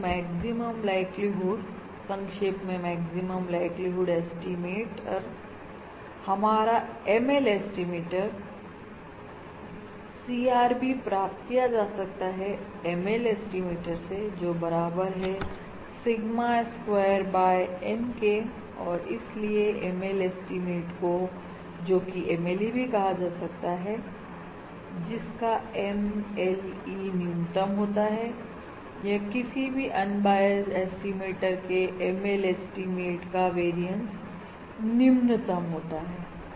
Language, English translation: Hindi, so to summarise basically, our maximum likelihood estimator, our ML estimator, the ML estimator achieves the CRB, which is equal to Sigma square by N, and therefore ML estimate, has the ML estimate, which is also abbreviated as MLE, has the lowest MLE, or basically the ML ML estimator has the lowest variance for any unbiased estimator And such an estimator is said to be basically an efficient